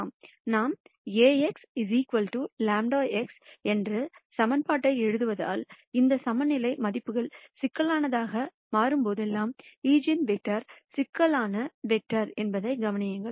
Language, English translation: Tamil, And notice that since we write the equation Ax equals lambda x, whenever this eigenvalues become complex, then the eigenvectors are also complex vectors